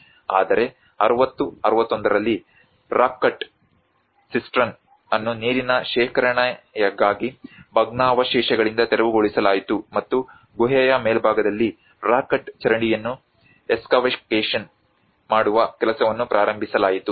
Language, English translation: Kannada, And whereas in 60 61 a rock cut cistern was cleared of debris for the storage of water and the excavation of rock cut drain on the top of the cave was started the work